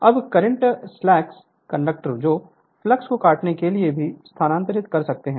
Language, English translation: Hindi, Now, conductor slash conductors which can also move to cut the flux right